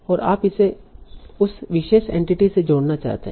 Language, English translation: Hindi, And you want to link it to that particular entity